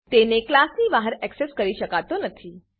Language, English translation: Gujarati, It cannot be accessed outside the class